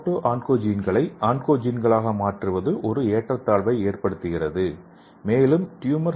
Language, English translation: Tamil, So if there is a imbalance the conversion of proto oncogenes to oncogenes will happen and it leads to altered tumor suppressor genes